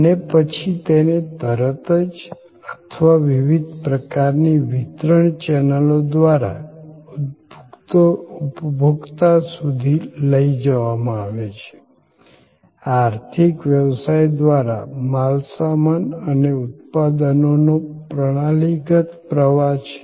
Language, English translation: Gujarati, And then, they are taken to the consumer either directly or through different kinds of channels of distribution, this is the traditional flow of goods and products through the economic system